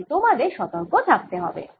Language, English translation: Bengali, so one has to be careful